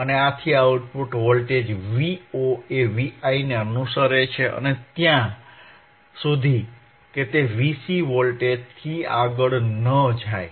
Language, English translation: Gujarati, hHence the output voltage v Vo follows V i until it is exceeds c V c voltage